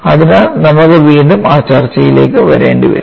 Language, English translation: Malayalam, So, we will have to come back to that discussion again